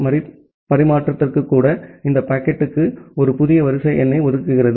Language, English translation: Tamil, Even for a retransmission, it assigns a new sequence number to the packet